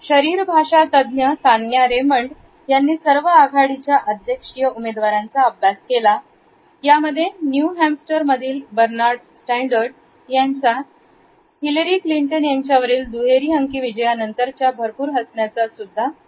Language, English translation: Marathi, Body language expert Tanya Raymond’s studied all the leading presidential candidates like Bernard Sanders who sure has lot of smile about after that double digit victory over Hillary Clinton in New Hamster